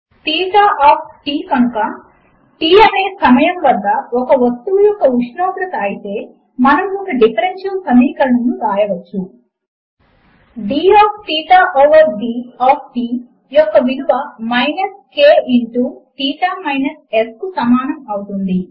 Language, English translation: Telugu, If theta of t is the temperature of an object at time t, then we can write a differential equation: d of theta over d of t is equal to minus k into theta minus S where S is the temperature of the surrounding environment